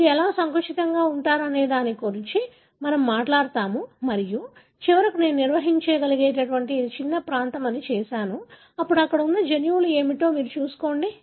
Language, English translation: Telugu, We will talk about how do you narrow down and then finallyonce you have done that this is the smallest region that I can define, then, you go about looking at what are the genes that are present there